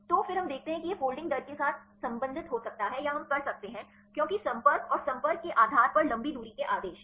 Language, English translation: Hindi, So, then we see whether it can be related with the folding rate or we can do because contact order and long range order based on contacts